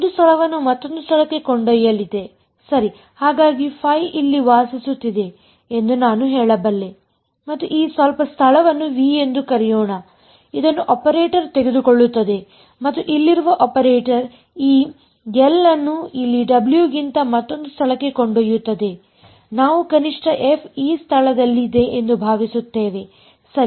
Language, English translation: Kannada, Is going to take one space to another space alright; so I can say that say phi lives over here and the operator takes it let us say call this some space V and the operator over here this L takes it to another space over here f W, at least we hope that f is in this space right